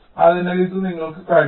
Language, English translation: Malayalam, ok, so this is you can